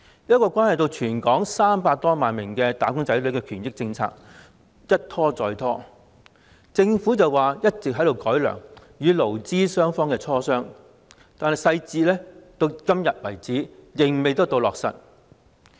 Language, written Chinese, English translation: Cantonese, 這項關係到全港300多萬名"打工仔女"的權益政策一拖再拖，政府聲稱一直在改良，與勞資雙方磋商，但細節至今仍未落實。, This initiative that has a bearing on the rights and interests of some 3 million - odd wage earners in Hong Kong has been delayed time and again . The Government has claimed that it has been working for improvements and that negotiation has been conducted between workers and employers but the details remain to be finalized